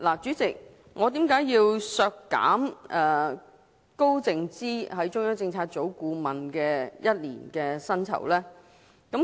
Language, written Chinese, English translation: Cantonese, 主席，我為何要提出削減高靜芝作為中央政策組顧問的1年薪酬呢？, Chairman why did I propose the reduction of the annual emoluments of Sophia KAO in her capacity as a member of CPU?